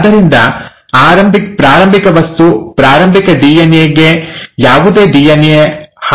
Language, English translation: Kannada, So the starting material, the starting DNA has no DNA damage